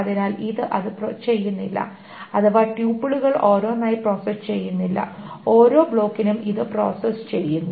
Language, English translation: Malayalam, So it does not do it, process it tuple by tuple, it process it per block